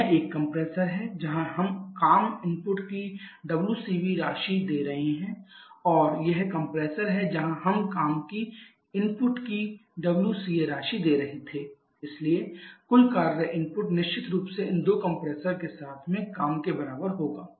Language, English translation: Hindi, So, this is a compressor where we are giving us a WC amount of WC B amount of work input and this is the compressor where we were giving WC A amount of work input so total work input definitely will corresponds to this 2 compressor works together